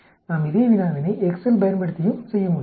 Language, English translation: Tamil, We can do the same problem using Excel also